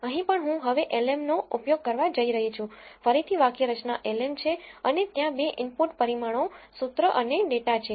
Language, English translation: Gujarati, Here also I am going to use lm now again the syntax is l m and there are 2 input parameters formula and data